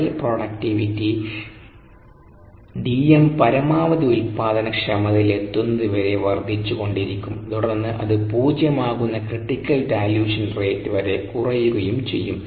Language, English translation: Malayalam, so it goes on increasing till it reaches a maximum productivity at d, m and then it will actually drop till the point of the critical dilution rate where it becomes zero